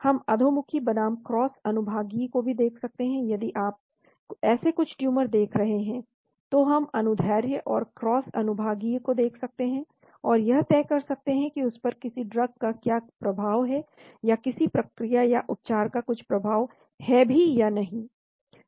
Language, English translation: Hindi, We can look at even longitudinal versus cross sectional, if you are looking at that some tumors, we can look at the longitudinal and cross sectional and decide what is the effect of a drug on that or effect of certain procedure or treatment